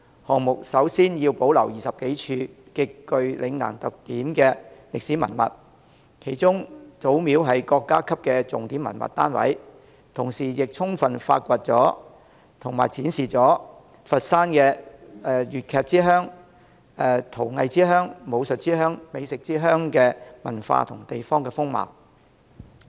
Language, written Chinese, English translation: Cantonese, 項目首先要保留20多處極具嶺南特點的歷史文物，其中祖廟是國家級的重點文物單位，同時亦充分發掘和展示佛山粵劇之鄉、陶藝之鄉、武術之鄉及美食之鄉的文化和地方風貌。, The project first needs to preserve over 20 spots of historic heritage with Lingnan characteristics . One of them is the Zumiao Temple which is a major national historical site . The project also needs to fully discover and display the cultural aspect of Foshan and its local characteristics of being the home of Cantonese opera ceramic art martial art and fine food